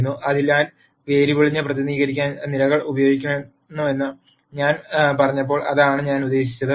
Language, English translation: Malayalam, So, that is what I meant when I said the columns are used to represent the variable